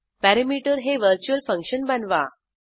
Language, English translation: Marathi, Create perimeter as a Virtual function